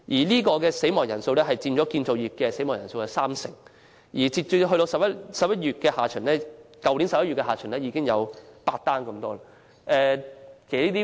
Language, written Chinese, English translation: Cantonese, 相關死亡人數佔建造業意外死亡人數三成；去年由年初截至11月下旬，相關死亡個案已有8宗之多。, The relevant number of deaths accounted for 30 % of the industrial fatalities . As at late November there were already eight such fatal cases last year